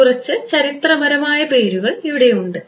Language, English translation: Malayalam, So, few names a few historical name over here